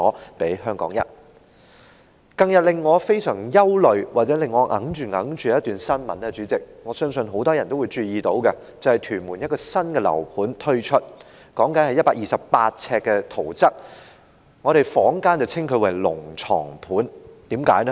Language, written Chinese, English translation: Cantonese, 代理主席，近日令我非常憂慮或耿耿於懷的一則新聞，我相信很多人都注意到，也就是屯門有一個新樓盤推出，說的是128平方呎的圖則，坊間稱之為"龍床盤"，為甚麼？, Deputy President recently there is this piece of news which has been worrying me or nagging at me . I think many people must have also noticed it . It is about a new residential property development in Tuen Mun being put up for sale and I am talking about the layout plan of a unit measuring 128 sq ft in area which is known as dragon bed unit in the market